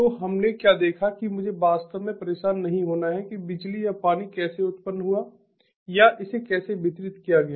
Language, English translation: Hindi, that i do not really have to bothered about how the electricity or water was generated or pumped out, how it was distributed